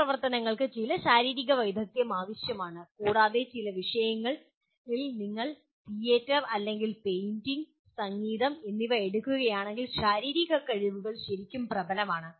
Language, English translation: Malayalam, Certain activities will require some physical skills and in some subjects if you take theater or painting, music; their physical skills really are dominant